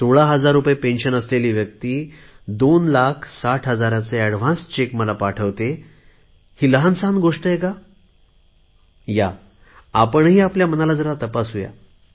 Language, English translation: Marathi, A man with a pension of sixteen thousand rupees sends me cheques worth two lakhs, sixty thousand in advance, is this a small thing